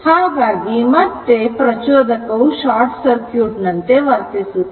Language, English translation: Kannada, So, inductor will act as a short circuit